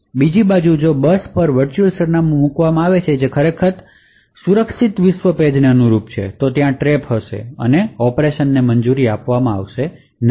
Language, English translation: Gujarati, On the other hand if a virtual address is put out on a bus which actually corresponds to a secure world page then there would be a trap and the operation would not be permitted